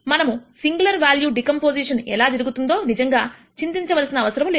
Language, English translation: Telugu, We do not have to really worry about how singular value decomposition is done